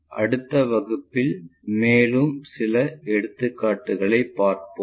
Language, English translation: Tamil, Let us look at more problems in the next class